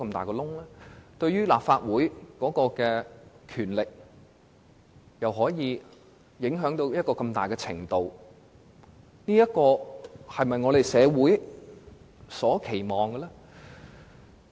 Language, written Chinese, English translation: Cantonese, 高鐵對立法會的權力造成這麼深遠的影響，這是否符合社會的期望呢？, Given such far - reaching consequences on the powers of the Legislative Council does XRL meet the expectations of the community?